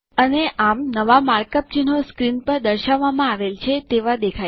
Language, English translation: Gujarati, And, thus the new mark up looks like as shown on the screen